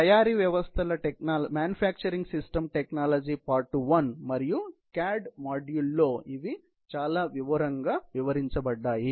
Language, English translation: Telugu, These have been detailed in manufacturing systems technology; part 1, and the CAD module